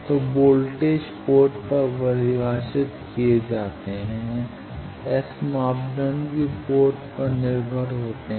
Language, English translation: Hindi, So, voltages are defined at ports S parameters are also port dependent